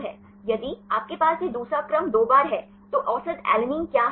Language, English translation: Hindi, If you have this second sequence twice, then what is average alanine